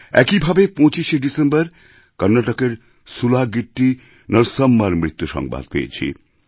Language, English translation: Bengali, On similar lines, on the 25th of December, I learnt of the loss of SulagittiNarsamma in Karnataka